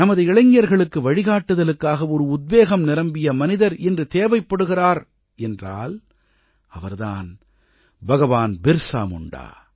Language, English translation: Tamil, Today, if an inspiring personality is required for ably guiding our youth, it certainly is that of BhagwanBirsaMunda